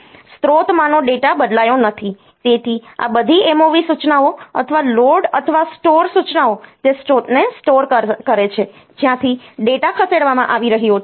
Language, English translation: Gujarati, The data in the source is not changed; so all these MOV instructions or the load or store instruction the store the source from where the data is being moved